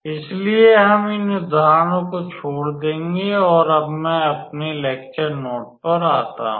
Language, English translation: Hindi, So, we will skip these examples and now I am in my lecture note